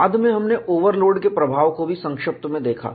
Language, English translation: Hindi, Then, we also had a brief look at the effect of overload